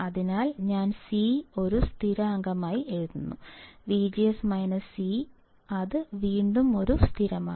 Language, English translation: Malayalam, So, I will write C as a constant, V G S minus C which is again a constant